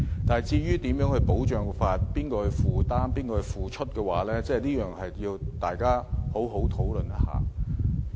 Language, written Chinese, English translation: Cantonese, 但是，如何保障和由誰負擔，這點需要大家好好討論。, How the protection should be and who should be responsible for it is a question that warrants discussion